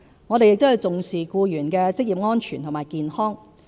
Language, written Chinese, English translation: Cantonese, 我們亦重視僱員的職業安全和健康。, We also take employees occupational safety and health seriously